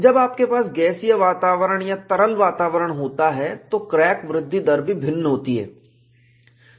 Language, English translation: Hindi, When you have a gaseous environment, or liquid environment, the crack growth rates are different